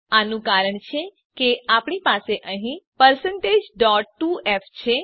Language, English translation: Gujarati, This is because we have % point 2f here